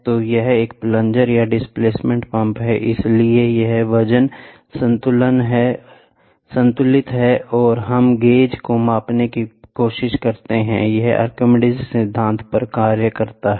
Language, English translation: Hindi, So, a plunger or a displacement pump is there so, here so, this weight is balanced and we try to measure the gauge, it works on Archimedes principle